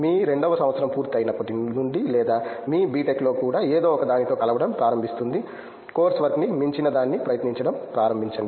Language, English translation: Telugu, May be right from your second, right from after completing your second year or so in your B, Tech itself start tinkering with something’s, start trying out something’s beyond the course work